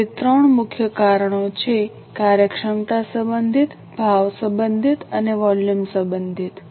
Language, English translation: Gujarati, So, there are three major reasons, efficiency related, price related and volume related